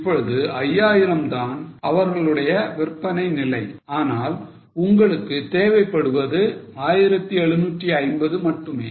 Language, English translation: Tamil, Now, 5,000 is their sales level and what you require is only 1750